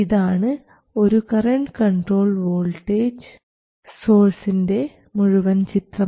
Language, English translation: Malayalam, This is already a voltage control voltage source